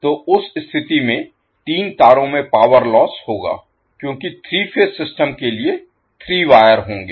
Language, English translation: Hindi, So in that case the power loss in three wires because for the three phase system will have three wires